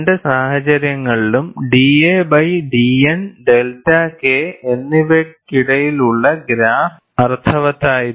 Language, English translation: Malayalam, In both the cases, the graph between d a by d N versus delta K was meaningful